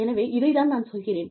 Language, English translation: Tamil, So, that is what, I am saying